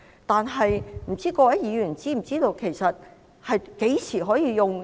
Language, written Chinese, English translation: Cantonese, 但是，各位議員是否知道，何時可以使用？, However do Members have any idea when it can be used?